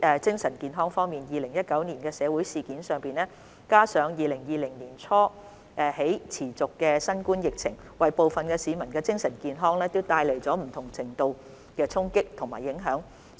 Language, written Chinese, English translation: Cantonese, 精神健康方面 ，2019 年的社會事件，加上自2020年年初起持續的新冠疫情，為部分市民的精神健康帶來不同程度的衝擊和影響。, Concerning mental health the social unrest in 2019 together with the ongoing COVID - 19 epidemic since early 2020 have brought different levels of impact and influence on the mental well - being of some people